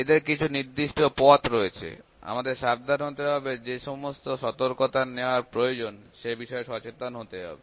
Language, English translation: Bengali, They have specific ways, we have to be careful, we have to be aware of the precautions that we need to use